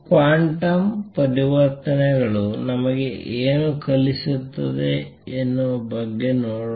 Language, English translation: Kannada, Let us see; what does it teach us about quantum transitions